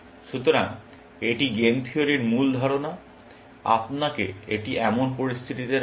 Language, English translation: Bengali, So, this is the basic idea of game theory, puts you in a situation like this